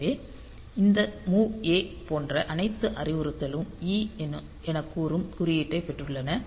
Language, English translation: Tamil, So, these all these mov a type of instructions they have got the code like say E and then this